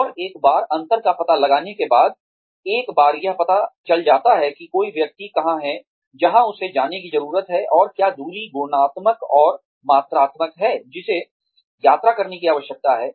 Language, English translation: Hindi, And, once the difference is found out, once it is found out, , where one is in, where one needs to go, and what is the distance, qualitatively and quantitatively, that needs to be travelled